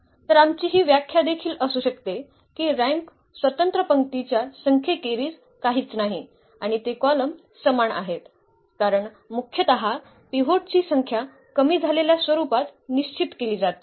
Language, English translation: Marathi, So, we can have also this definition that the rank is nothing but the number of independent rows and they are the same the column because the number of pivots are basically fixed in its reduced form